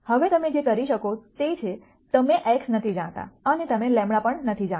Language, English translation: Gujarati, Now what you could do is; you do not know x and you do not know lambda also